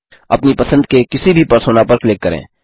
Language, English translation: Hindi, Click on any Persona of your choice